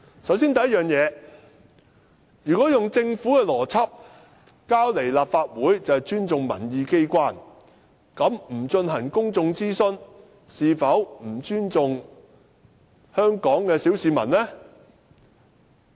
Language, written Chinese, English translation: Cantonese, 首先，如果用政府的邏輯，提交立法會便是尊重民意機關的話，那麼不進行公眾諮詢，是否不尊重香港的小市民呢？, First if this logic of the Government stands then is refraining from conducting a public consultation equivalent to disrespect for Hong Kong people?